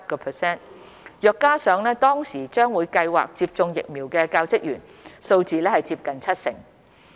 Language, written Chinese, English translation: Cantonese, 若再加上當時將會計劃接種疫苗的教職員，數字接近七成。, As at mid - July the vaccination rate of school staff reached around 47 % and if we include those who had plans to get vaccinated the rate is close to 70 %